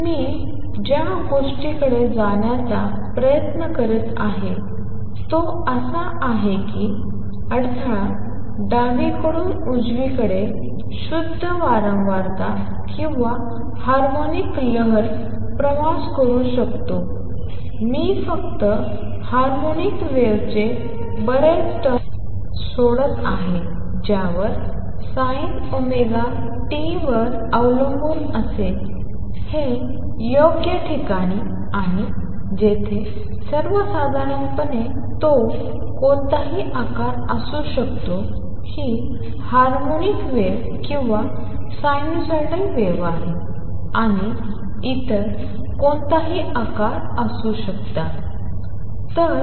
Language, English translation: Marathi, So, what I am try to get at is that the disturbance could be traveling to the left to the right a pure frequency or harmonic wave, I am just dropping lot of term harmonic wave would have a dependence which is sin omega t at a given place right and where as in general it could be any shape this is harmonic wave or sinusoidal wave and others could be any shape